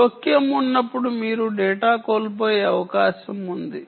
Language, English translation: Telugu, when there is interference, you are likely to lose data